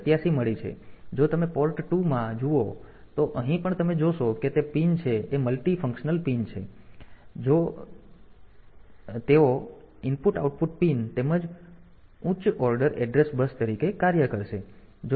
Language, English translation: Gujarati, Then if you look into port 2 here also you see that the it is the pins they are multifunctional pin and if they can they will act as IO pin as well as the higher order address bus